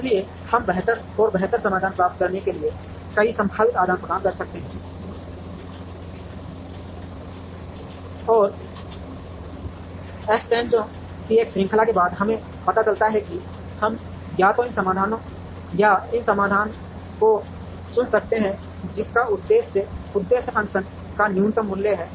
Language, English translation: Hindi, So, we could do a lot of possible exchanges to try and get better and better solutions, and after a series of exchanges we realize that we could either pick this solution or this solution, as the one which has minimum value of the objective function